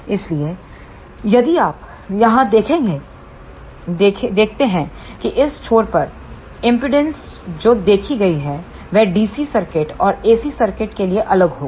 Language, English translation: Hindi, So, if you see here the impedance seen at this end will be different for the DC circuit and the AC circuit